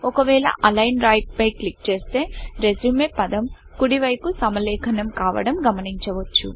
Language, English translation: Telugu, If we click on Align Right, you will see that the word RESUME is now aligned to the right of the page